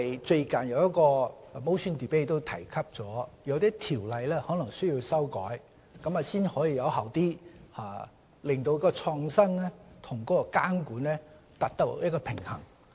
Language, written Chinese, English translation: Cantonese, 最近有一項議案辯論提及某些條例可能需要修改，才能有效地在創新與監管之間達致平衡。, One point raised in a recent motion debate is that we may need to amend certain ordinances if we are to strike a sound balance between innovation and monitoring